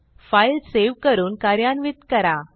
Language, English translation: Marathi, Now Save and run the file